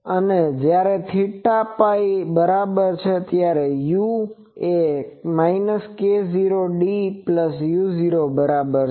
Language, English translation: Gujarati, And when theta is equal to pi, u is equal to minus k 0 d plus u 0